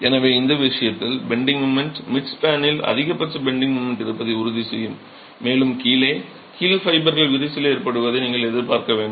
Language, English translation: Tamil, So, the bending moment in this case will ensure that the midspan has the maximum bending moment and that's where you should expect at the bottom the bottom fibers to crack